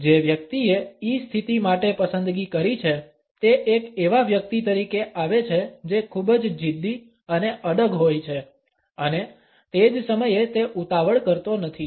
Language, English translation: Gujarati, The person who has opted for the E position comes across as a person who is very stubborn and persistent and at the same time is not hurried